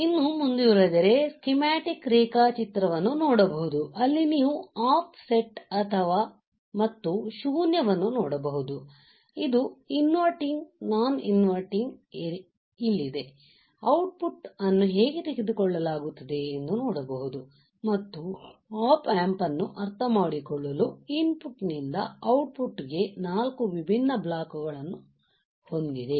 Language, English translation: Kannada, If further go in you will see the schematic diagram, where you can see the off set and null you can see here where is the inverting where is the non inverting terminal, how the output is taken and like I said it has a 4 different blocks from input to output to understand the op amp right